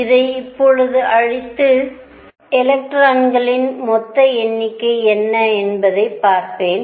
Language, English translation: Tamil, Let me now erase this and see what the total number of electrons is